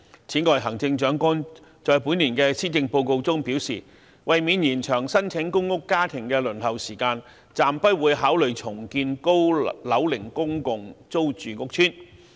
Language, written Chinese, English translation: Cantonese, 此外，行政長官在本年的《施政報告》中表示，為免延長申請公屋家庭的輪候時間，暫不會考慮重建高樓齡公共租住屋邨。, Moreover CE has indicated in this years Policy Address that in order not to lengthen the waiting time for families applying for public rental housing PRH redeveloping aged PRH estates will not be considered for the time being